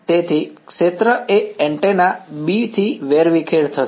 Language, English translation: Gujarati, So, the field scattered by antenna B right